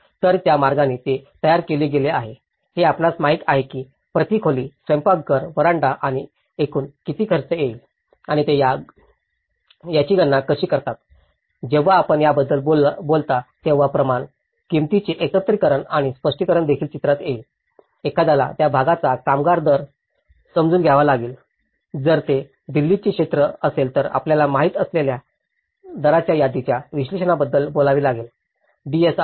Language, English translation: Marathi, So, in that way they have been composed with you know how much it is going to cost per room, kitchen, veranda and total is this much and how do they calculate it, when you talk about this is where the integration of quantity, pricing and specification will come into the picture also, one will have to understand the labour rates of that region, if it is a Delhi area you have to talk about the list analysis of rates you know, DSRs